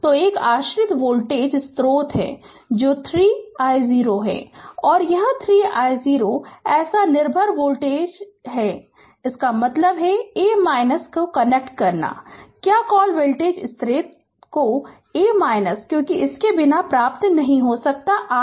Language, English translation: Hindi, So, one dependent voltage source is there that is 3 i 0 and this is i 0 such dependent voltage dependent voltage source is there; that means, you have to connect a your what you call say voltage source to your a, because without that you cannot get your R Thevenin right